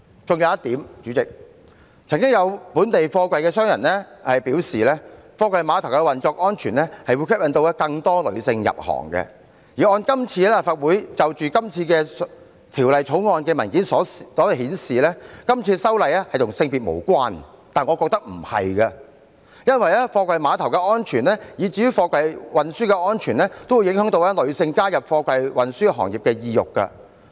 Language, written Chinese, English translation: Cantonese, 還有一點，代理主席，曾經有本地貨櫃商人表示，貨櫃碼頭運作安全會吸引更多女性入行，而按立法會就今次《條例草案》的文件所顯示，今次修例與性別無關，但我認為非也，因為貨櫃碼頭安全以至貨櫃運輸安全均會影響女性加入貨櫃運輸行業的意欲。, Moreover Deputy President some local container operators have said that the safe operation of the container terminals will attract more female workers to join the trade . But according to the Legislative Council Brief on the Bill the proposed amendments have no gender implications . But I do not think so because the safety of container terminals and the safety of container transport will affect the willingness of female workers to join the trade